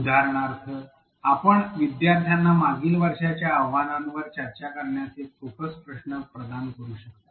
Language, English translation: Marathi, For example, you can provide a focus question to students to discuss the challenges from the previous class